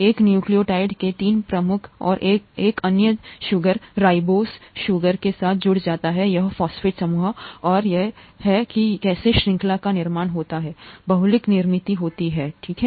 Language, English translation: Hindi, The three prime and of another sugar, ribose sugar of a nucleotide, gets attached with this phosphate group and that’s how the chain gets built up, the polymer gets built up, okay